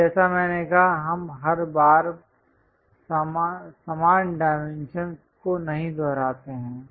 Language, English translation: Hindi, And like I said, we do not repeat the same dimensions every time